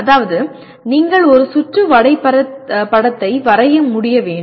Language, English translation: Tamil, That means you should be able to draw a circuit diagram